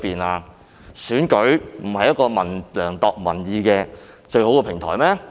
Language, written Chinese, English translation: Cantonese, 難道選舉不是量度民意的最好平台嗎？, Is election not the best platform for gauging public views?